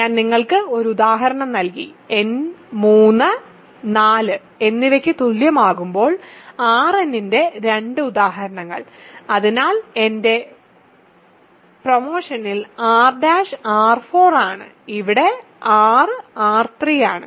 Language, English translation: Malayalam, I have given you one example, two examples of R n when n equal to 3 and 4; so R prime is R 4 right in my notation now and here R is R 3